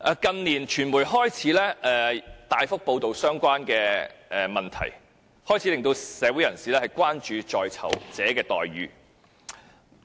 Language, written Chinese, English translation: Cantonese, 近年，傳媒開始大幅報道相關問題，開始令社會人士關注在囚者的待遇。, Society only started to pay attention to the treatment of prisoners after the media widely reported the subject in recent years